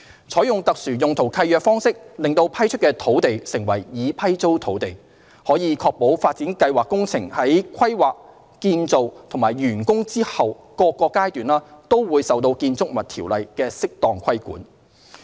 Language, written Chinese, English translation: Cantonese, 採用特殊用途契約方式令批出的土地成為"已批租土地"，可確保發展計劃工程在規劃、建造及完工後各個階段，均受《建築物條例》適當規管。, The use of SPL will make the land so granted leased land which will come under the proper regulation of BO throughout the planning construction and post - construction stages